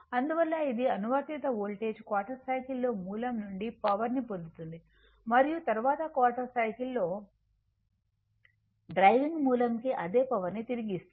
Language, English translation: Telugu, So, that is why, it receives energy from the source during 1 quarter of a cycle of the applied voltage and returns exactly the same amount of energy to driving source during the next 1 quarter of the cycle right